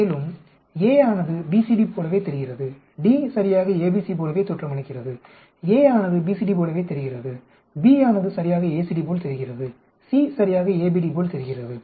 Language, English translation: Tamil, AB looks exactly like CD same thing I can show that BD looks exactly like AC, same thing I can show AD looks exactly like BC and also a looks exactly like BCD just like D looks exactly like ABC, A looks exactly like BCD, B looks exactly like ACD, C looks exactly like ABD